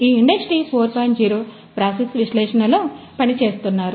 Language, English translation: Telugu, 0 process analysis